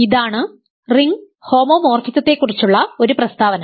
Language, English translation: Malayalam, So, this is a statement about ring homomorphism